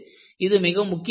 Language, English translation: Tamil, And, that is also very important